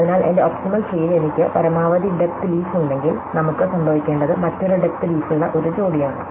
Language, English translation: Malayalam, So, therefore, if I have a maximum depth leaf in my optimal tree, then it will occur as a pair with another maximum depth leaf